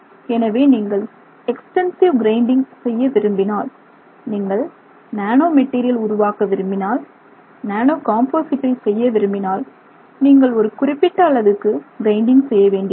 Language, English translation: Tamil, So, naturally if you want to do extensive grinding you want to make nano material, you want to do a nano composite where you have to do significant amount of grinding